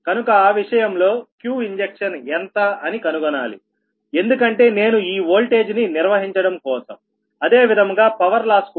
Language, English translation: Telugu, also, i have to find out what will be the q injection such that i can maintain this voltage and such the same time of the power loss